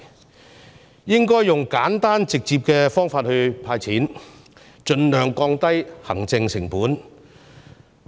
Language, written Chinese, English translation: Cantonese, 政府應該用簡單直接的方法"派錢"，盡量降低行政成本。, The Government should hand out cash in a simple and direct way to reduce as much administrative cost as possible